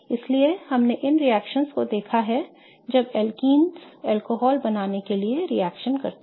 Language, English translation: Hindi, So, we have seen these reactions when alkenes react to form alcohols